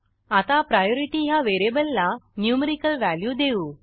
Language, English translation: Marathi, Now let us assign a numerical value to the variable priority